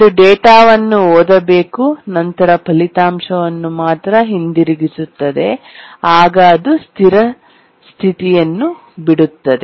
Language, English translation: Kannada, It should have read the data and then written back the result, then it would have left it in a consistent state